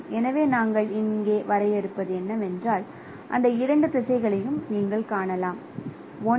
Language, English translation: Tamil, So, what we are defining here as you can see that two directions, one is called delta n